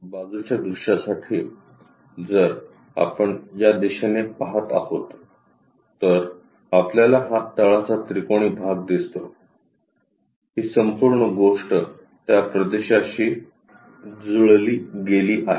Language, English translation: Marathi, For side view, if we are observing from this direction, we see these bottom triangular portion; this entire thing is mapped on to that region